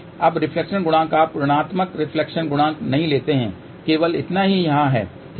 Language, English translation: Hindi, Now, reflection coefficient you do not put minus reflection coefficient is only this much here, ok